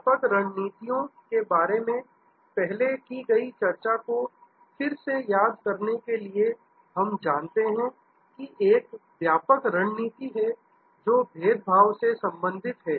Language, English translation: Hindi, Just to recap the discussion that we have had before about generic strategies, we know that there is one generic strategies, which relates to differentiation